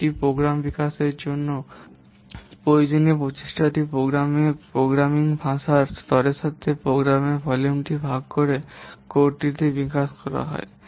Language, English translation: Bengali, The effort required to develop a program can be obtained by dividing the program volume with the level of the programming language is to develop the code